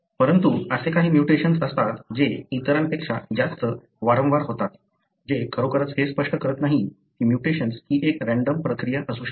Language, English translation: Marathi, But there are, at times some mutation that are more frequent than the other, that really does not explain that the mutation could be a random process